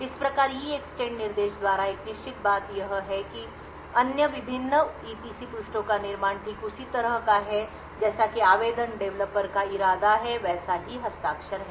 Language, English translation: Hindi, Thus, what is a certain by the EEXTEND instruction is that the creation of these various EPC pages is exactly similar or has exactly the same signature of what as what the application developer intended